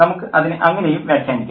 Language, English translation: Malayalam, We can also interpret it that way